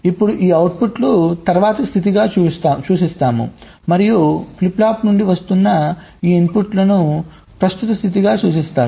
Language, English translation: Telugu, now these outputs we refer to as the next state, and these inputs that are coming from the flip flop, they are referred to as the present state